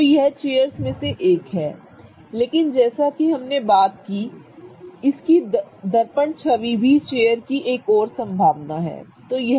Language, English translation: Hindi, So, this is one of the chairs but as we talked about its mirror image is also another possibility of a chair, right